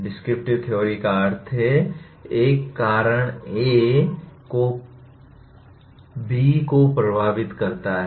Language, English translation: Hindi, Descriptive theory means a cause A leads to effect B